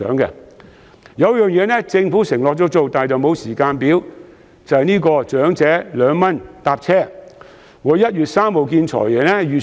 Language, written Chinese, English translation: Cantonese, 有一項措施政府已承諾實行，但未有時間表，那就是長者2元乘車優惠。, The 2 concessionary fare for the elderly is an initiative that the Government has promised to extend but a timetable has yet to be provided